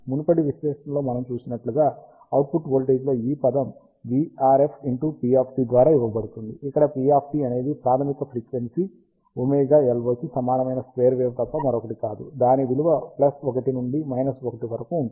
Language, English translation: Telugu, And as we have seen in the previous analysis, the output voltage will be given by this term v RF into a constant into p of t, where p of t is nothing but a square wave at a fundamental frequency equal to omega LO ranging from plus 1 to minus 1